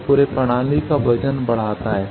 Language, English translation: Hindi, So, it increases the weight of the whole system